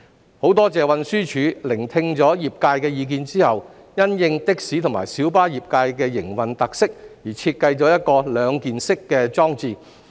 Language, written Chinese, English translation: Cantonese, 我很多謝運輸署聆聽了業界的意見後，因應的士及小巴業界的營運特色而設計了一個兩件式裝置。, I am grateful that TD has designed a two - piece device based on the operation characteristics of the taxi and public light bus trades after listening to their views